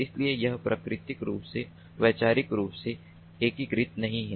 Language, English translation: Hindi, so this is not physically integrated conceptually